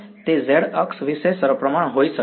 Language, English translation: Gujarati, It will be symmetric about the z axis